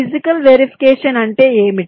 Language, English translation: Telugu, you see what is physical verification